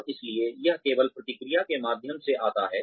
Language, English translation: Hindi, And, so this only comes through, feedback